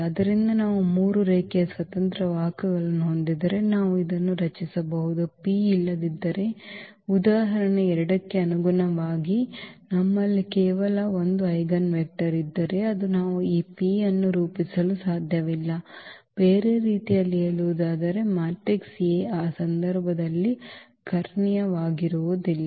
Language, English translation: Kannada, So, if we have 3 linearly independent vectors we can form this P otherwise for example, corresponding to 2 if it happens that we have only 1 eigenvector then we cannot form this P in other words the matrix A is not diagonalizable in that case